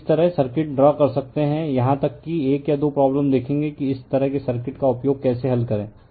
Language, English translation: Hindi, So, this way you can draw the circuit, even you will see one or two problem that how to solve using this kind of circuit right